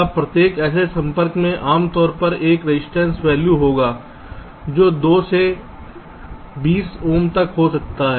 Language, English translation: Hindi, now each such contact typically will be having a resistance value which can vary from two to twenty ohm